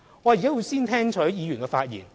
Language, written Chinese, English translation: Cantonese, 我現在先聽取議員的發言。, I would like to hear the views of Members first